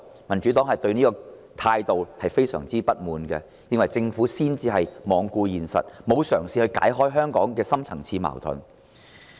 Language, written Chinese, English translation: Cantonese, 民主黨對這種態度感到非常不滿，認為政府才罔顧現實，沒有嘗試化解香港的深層次矛盾。, The Democratic Party finds such an attitude utterly unacceptable . From our point of view it is the Government which is ignoring the reality and making no attempt to resolve the deep - rooted conflicts in Hong Kong